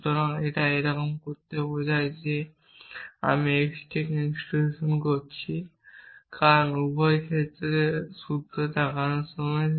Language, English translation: Bengali, So, it make sense to somehow say that I am instantiate x to because while looking at both this formulas